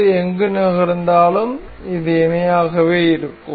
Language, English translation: Tamil, Anywhere it moves, it will remain parallel